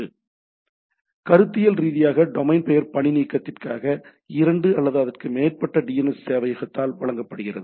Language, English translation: Tamil, So, conceptually is domain name is typically served by two or more DNS server for redundancy